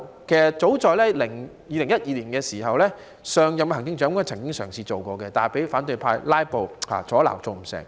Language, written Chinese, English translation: Cantonese, 其實早在2012年，上任行政長官曾經嘗試做過，但被反對派"拉布"阻撓而做不到。, In fact the previous Chief Executive tried to do this in 2012 . Regrettably the proposal fell through because of filibusters by the opposition Members